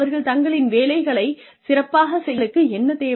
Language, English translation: Tamil, What do they need, to perform their jobs better